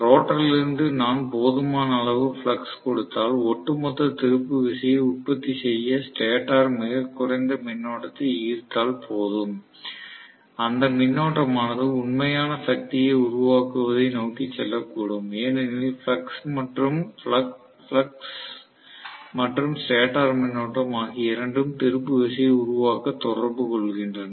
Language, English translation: Tamil, If I give just sufficient amount of flux from the rotor then the stator might draw very minimal current to produce the overall torque that current might basically go towards producing real power, because the flux and the stator current both of them interact to produce the torque